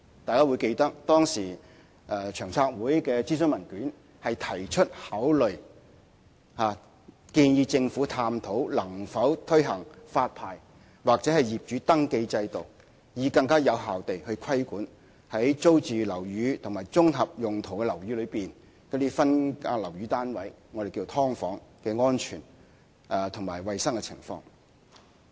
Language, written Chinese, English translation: Cantonese, 大家會記得，當時長遠房屋策略督導委員會的諮詢文件提出，考慮建議政府探討能否推行發牌或業主登記制度，以便更有效規管在租住樓宇和綜合用途樓宇內的分間樓宇單位的安全和衞生情況。, Members may recall that in its consultation paper the Long Term Housing Strategy Steering Committee recommended that the Government explore the feasibility of introducing a licensing or landlord registration system to better regulate the safety and hygiene conditions of subdivided units in residential and composite buildings